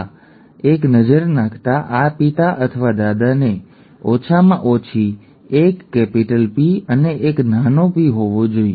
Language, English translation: Gujarati, With this, and taking a look at this, this father or the grandfather should have had at least one capital P and one small p